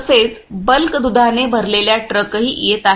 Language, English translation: Marathi, Also trucks loaded with lot of bulk milk is also coming